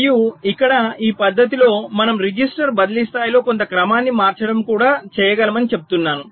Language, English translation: Telugu, here we are saying that we can also do some re ordering at the register transfer level